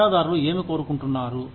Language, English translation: Telugu, What do shareholders want